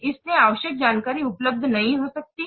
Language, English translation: Hindi, So the necessary information may not be available